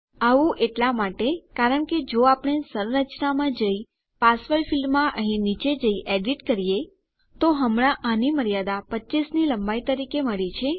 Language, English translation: Gujarati, Thats because if we go to our structure and go down to our password field here and edit this, we have currently got a length of 25 as its limit